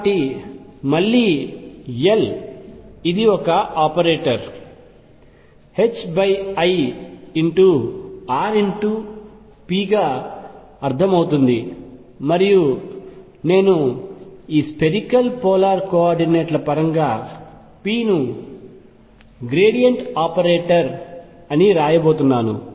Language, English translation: Telugu, So, again L this is understood as an operator is h cross over i r cross p and I am going to write this p the gradient operator in terms of this spherical polar coordinates